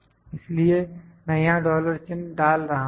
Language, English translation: Hindi, So, I am putting dollar signs here